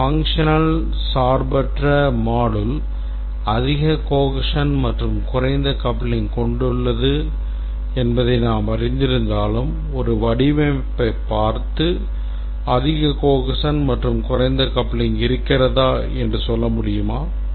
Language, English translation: Tamil, Even though we know that a functional independent set of modules high cohesion and low coupling, can we look at a design and say that whether there is a high cohesion and low coupling